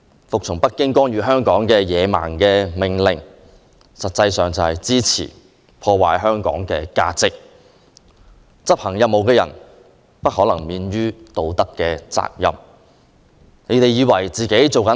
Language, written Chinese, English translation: Cantonese, 服從北京干預香港的野蠻命令，實際上是支持破壞香港的價值，執行任務的人不可能免於道德責任。, If the Government takes the barbaric orders of Beijing to let it interfere in Hong Kong affairs it is indeed lending a hand to Beijing in destroying the values of Hong Kong . Moral responsibility will fall squarely on those who act on such orders